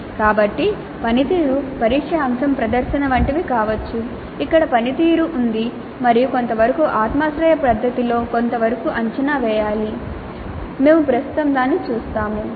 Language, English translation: Telugu, So the performance test item can be something like a presentation where there is a performance and that needs to be evaluated to some extent in some subjective fashion